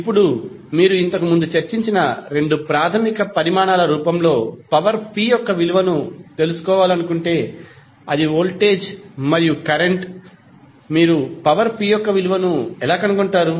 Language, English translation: Telugu, Now, if you want to find out the value of power p in the form of two basic quantities which we discussed previously that is voltage and current